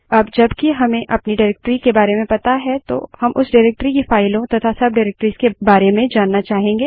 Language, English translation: Hindi, Once we know of our directory we would also want to know what are the files and subdirectories in that directory